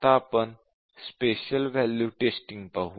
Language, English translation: Marathi, Now, let us look at Special Value Testing